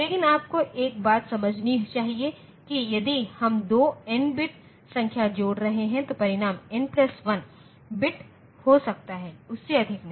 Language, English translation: Hindi, But, you must understand one thing that if we are adding two n bit numbers then the result can be of n plus 1 bit not more than that